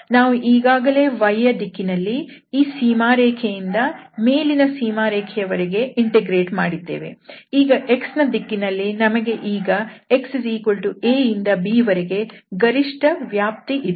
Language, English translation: Kannada, So in the direction of y we have integrated already from this boundary to the upper boundary and now in the direction of x we have the maximum range here from x a to b